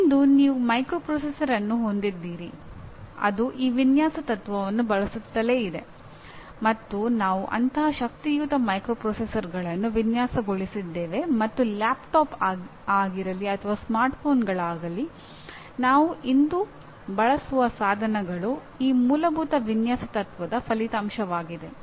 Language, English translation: Kannada, Today, you have a microprocessor which keeps using this design principle, and we have designed such powerful microprocessors and the devices that we use today whether it is laptops or smartphones are the result of this fundamental design principle